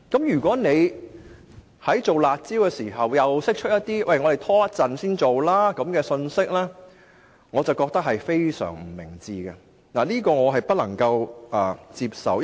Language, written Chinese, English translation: Cantonese, 如果在推出"辣招"之際發出可以稍後才做的信息，我認為是非常不明智的，亦不能夠接受。, In my opinion the message that the upcoming curb measures can be deferred is not only undesirable but also unacceptable